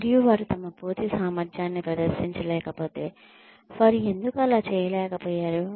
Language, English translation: Telugu, And, if they have not been able to perform to their fullest potential, why they have not been able to do so